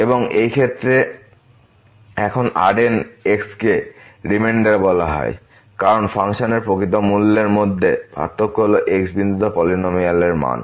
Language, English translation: Bengali, And in this case now the is called the remainder, because this is the difference between the actual value of the function minus the polynomial value at the point